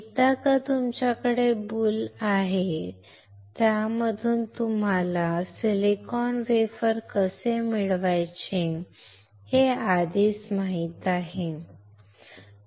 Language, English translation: Marathi, Once you have boule, you already know how to obtain the silicon wafer out of it, all right